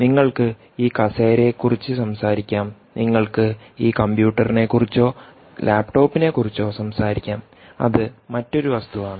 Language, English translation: Malayalam, you can talk about this chair, which is a thing, and you can be talking of this computer or a laptop, which is another thing, and you want the chair to talk to this computer